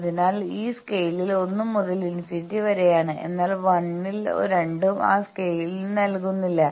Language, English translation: Malayalam, So, 1 to infinity this scale, but at 1 both they are not giving that scale